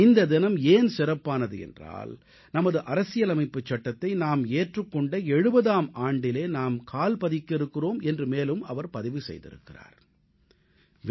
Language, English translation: Tamil, She says that this day is special because we are going to enter into the 70th year of our Constitution adoption